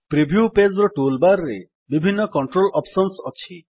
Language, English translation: Odia, There are various controls options in the tool bar of the preview page